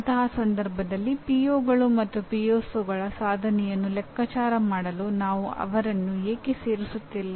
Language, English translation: Kannada, In such a case why are we not including them in computing the attainment of POs and PSOs